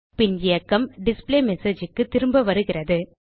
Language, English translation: Tamil, Then the control goes back to the displayMessage